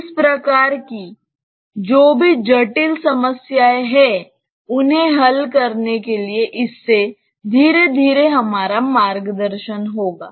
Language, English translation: Hindi, This should slowly guide us for solving whatever complicated problems that we are having of this type